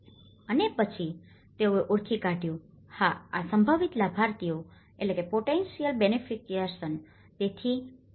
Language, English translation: Gujarati, And then they identified, yes these are the potential beneficiaries